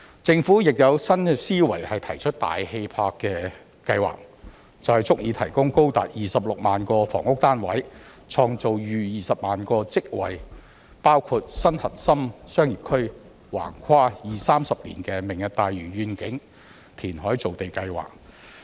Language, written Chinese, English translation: Cantonese, 政府亦有新思維提出大氣魄的計劃，便是足以提供高達26萬個房屋單位、創造逾20萬個職位，包括新核心商業區、橫跨二三十年的"明日大嶼願景"填海造地計劃。, The Government has also adopted a new mindset and put forward an ambitious plan namely the Lantau Tomorrow Vision reclamation project for land creation spanning a period of 20 to 30 years which will provide up to 260 000 housing units more than 200 000 jobs and a new core business district